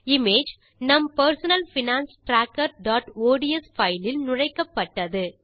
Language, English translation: Tamil, Let us open our Personal Finance Tracker.ods spreadsheet